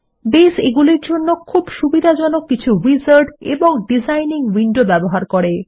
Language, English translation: Bengali, by using the very user friendly wizards and designing windows